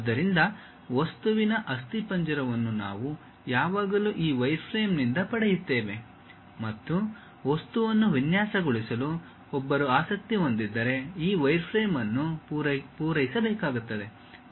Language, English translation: Kannada, So, the skeleton of the object we always get it from this wireframe and this wireframe has to be supplied, if one is interested in designing an object